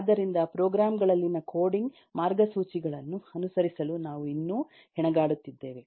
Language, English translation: Kannada, software engineers are still not up to it, so we are still struggling even to follow the coding guidelines in programs